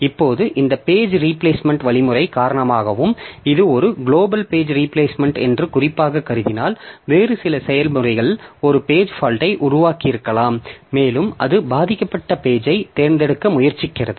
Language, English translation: Tamil, Now, due to this page replacement algorithm and if I particularly assume that it's a global page replacement, some other process might have generated a page fault and it is trying to select the victim